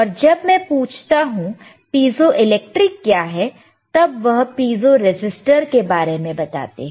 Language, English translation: Hindi, And when we ask what is piezoelectric the definition, it will be of piezo resistor